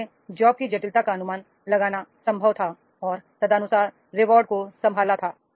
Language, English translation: Hindi, So, it was possible to estimate the complexity of the job and accordingly the rewards are data to be managed